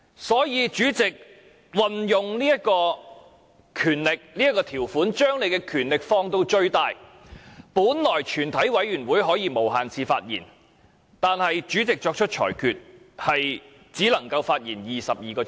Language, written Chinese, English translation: Cantonese, 所以，主席運用這項條款，把權力放到最大，在全體委員會審議階段本來是可以無限次發言的，但主席作出裁決說只能發言22小時。, Hence the President invokes this provision to expand his power to the maximum extent . During the examination by the committee of the whole Council Members can speak for an unlimited number of times yet the President rules that Members can only speak for 22 hours